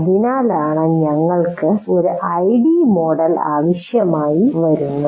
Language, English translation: Malayalam, That's why we require an ID model like this